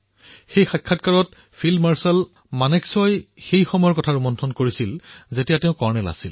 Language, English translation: Assamese, In that interview, field Marshal Sam Manekshaw was reminiscing on times when he was a Colonel